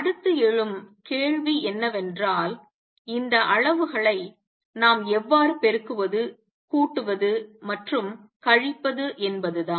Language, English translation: Tamil, The next question that arises is how do we multiply add subtract these quantities